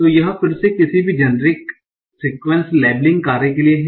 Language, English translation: Hindi, So this is again for any generic sequence labeling task